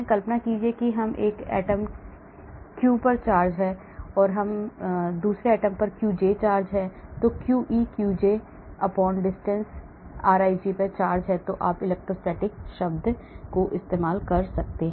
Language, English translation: Hindi, Imagine there is charge on this atom qi, there is charge on this atom qj, qi qj/distance rij that is the electrostatic term